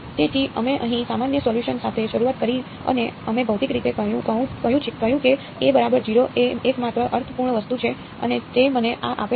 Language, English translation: Gujarati, So, we started with the general solution over here and we said physically that a is equal to 0 is the only meaningful thing and that gives me this